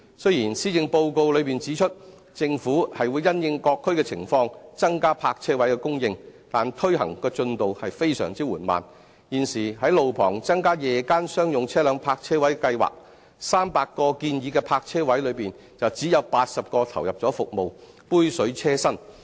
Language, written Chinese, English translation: Cantonese, 雖然施政報告內指出，政府會因應各區的情況增加泊車位的供應，但推行進度非常緩慢，就現時在路旁增加夜間商用車輛泊車位的計劃 ，300 個建議的泊車位中只有80個投入服務，杯水車薪。, Even though it is set out in the Policy Address that the Government will increase parking spaces in various districts having regard to the local situation the progress is very slow . In regard to the existing scheme of increasing on - street parking spaces for night - time public parking of commercial vehicles only 80 out of 300 recommended parking spaces are in service . This measure is utterly inadequate